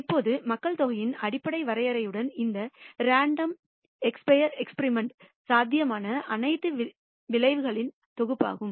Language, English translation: Tamil, Now, with basic definition of population is the set of all possible outcomes of this random expire experiment